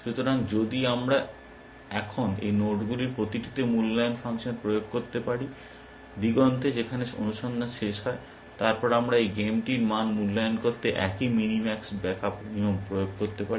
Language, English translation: Bengali, So, if we can now apply the evaluation function to each of these nodes, on the horizon, which is wherever search ends; then we can apply the same minimax back up rule, to evaluate the value of this game